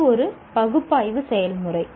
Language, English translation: Tamil, And that is an analysis process